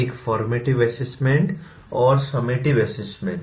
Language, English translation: Hindi, A formative assessment and summative assessment